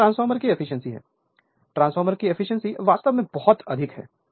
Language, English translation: Hindi, So, this is the efficiency of the transformer; transformer efficiency actually is very high right